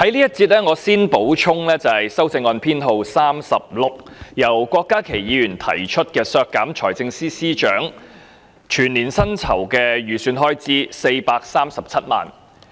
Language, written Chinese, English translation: Cantonese, 該項修正案由郭家麒議員提出，議決削減財政司司長437萬元的全年薪酬預算開支。, This amendment is proposed by Dr KWOK Ka - ki and its resolves that the estimated expenditure of 4.37 million for paying the annual salaries of the Financial Secretary be deleted